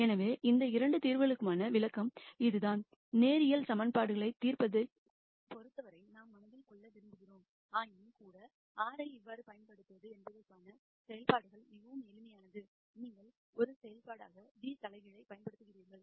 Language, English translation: Tamil, So, that is the interpretation for these 2 solutions that that we want to keep in mind as far as solving linear equations is concerned, nonetheless the operationalization for how to use R is very simple you simply use g inverse as a function